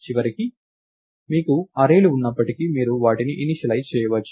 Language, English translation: Telugu, And finally, even if you have arrays, you can initialize them